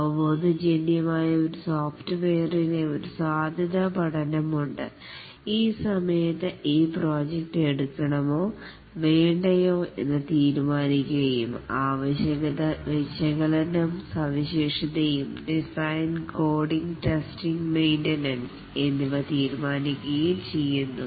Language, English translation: Malayalam, Intuitably every software has a feasibility study during which it is decided whether to take up this project or not the requirement analysis design, coding, testing and maintenance